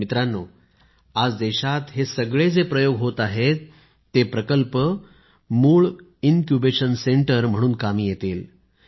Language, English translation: Marathi, Friends, today an attempt is being made in the country to ensure that these projects work as Incubation centers